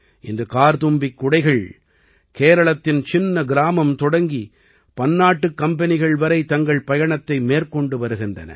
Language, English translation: Tamil, Today Karthumbi umbrellas have completed their journey from a small village in Kerala to multinational companies